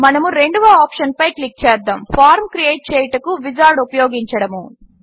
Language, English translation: Telugu, Let us click on the second option: Use Wizard to create form